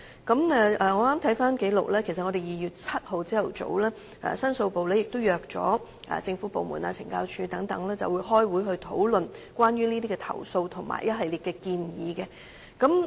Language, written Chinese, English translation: Cantonese, 我剛翻查紀錄，其實在2月7日早上，申訴部也邀約了政府部門、懲教署等開會討論關於這些投訴和一系列建議。, After going through the record I found that actually the Complaints Division had invited the relevant government department and CSD to attend a meeting in the morning of 7 February to discuss these complaints and a series of recommendations